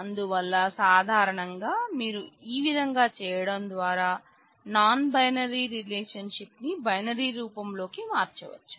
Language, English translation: Telugu, So, in general you can convert a non binary relationship by in the binary form by doing this